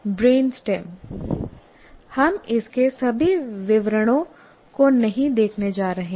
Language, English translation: Hindi, Now come the brain stem, we are not going to look into all the details